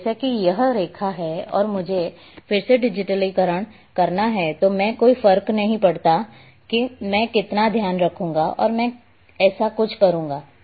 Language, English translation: Hindi, So, like if this is the line and if I have to do digitize again what I will do no matter how to much care I will take I will be doing something like that